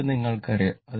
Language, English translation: Malayalam, This you know